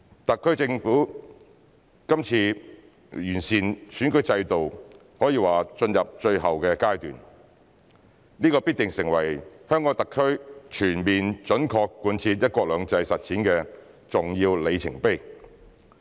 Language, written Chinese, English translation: Cantonese, 特區政府今次完善選舉制度可說是進入最後階段，這必成為香港特區全面準確貫徹"一國兩制"實踐的重要里程碑。, The SAR Government has entered the final stage of the present bid to improve the electoral system which will surely be an important milestone for the full and faithful implementation of one country two systems in HKSAR